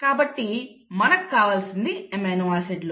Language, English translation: Telugu, So you need the amino acids